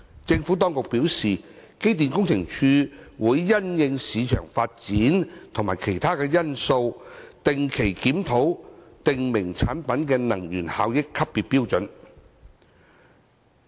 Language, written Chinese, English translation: Cantonese, 政府當局表示，機電工程署會因應市場發展及其他因素，定期檢討訂明產品的能源效益級別標準。, The Administration has advised that EMSD regularly reviews the energy efficiency grading standard of the prescribed products in the light of market developments and other factors